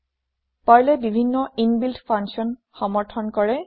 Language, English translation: Assamese, Perl provides several inbuilt functions